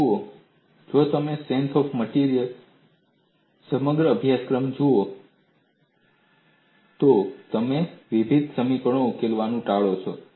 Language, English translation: Gujarati, See, if you look at the whole course of strength of materials, you avoid solving differential equations